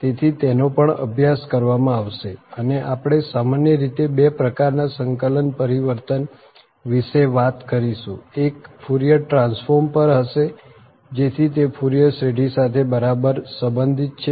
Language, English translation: Gujarati, So, that will be also studied and we will be talking about in general two types of integral transform 1 will be on Fourier transform, so that is exactly related to the Fourier series